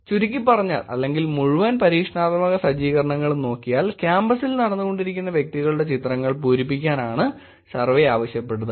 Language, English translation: Malayalam, Just to summarize or just to look at the whole experimental set up itself is that, pictures taken of individuals walking in campus, asked them to fill the survey